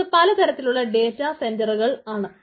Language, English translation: Malayalam, maybe there are different type of data center